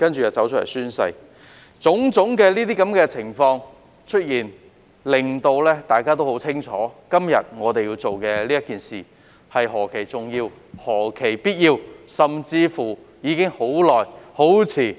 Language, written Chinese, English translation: Cantonese, 由於出現種種情況，大家也很清楚今天我們所做的是何其重要和必要，甚至是做得太遲。, Due to the occurrence of such scenarios everyone knows clearly that what we are doing today is important and necessary and is long overdue